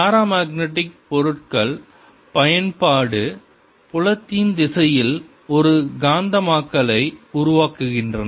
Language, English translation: Tamil, paramagnetic materials develop a magnetization in the direction of applied field